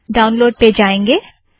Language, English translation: Hindi, Go to downloads